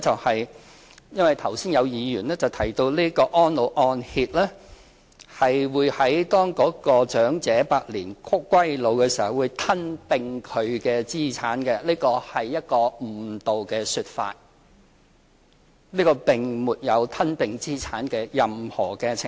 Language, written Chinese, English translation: Cantonese, 第一，因為剛才有議員提到安老按揭會在長者百年歸老時吞併其資產，這是一個誤導的說法，這個計劃並沒有吞併資產的任何程序。, First some Members have said that the Reverse Mortgage Programme will swallow up the elderly peoples assets after they pass away . This is misleading . The Programme has no procedure to swallow up the assets